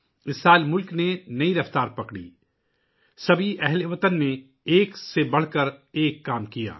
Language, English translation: Urdu, This year the country gained a new momentum, all the countrymen performed one better than the other